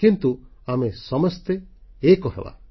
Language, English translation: Odia, But we must all come together